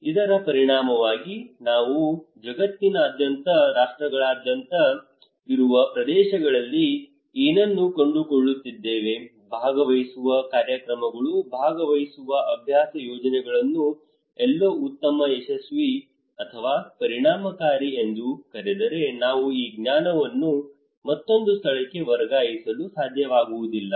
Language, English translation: Kannada, As a result what we are finding across regions across nations across globe that participatory programs participatory exercises projects that is if it is called in somewhere good successful or effective we are not able to transfer these knowledge into another place